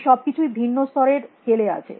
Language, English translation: Bengali, All these are at different levels of scale